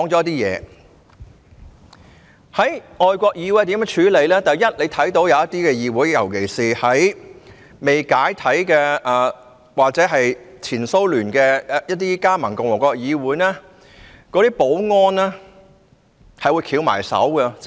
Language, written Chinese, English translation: Cantonese, 大家可以見到，有一些議會，尤其是在前蘇聯未解體前一些加盟共和國的議會，其保安人員只會袖手旁觀。, As Members may have noticed in some parliaments particularly those of the Soviet Socialist Republics before the dissolution of the Soviet Union the security staff would stand by with folded arms